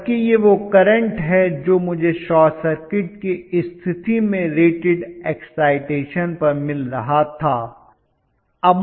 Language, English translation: Hindi, Whereas this is the current I was getting under rated excitation under short circuit condition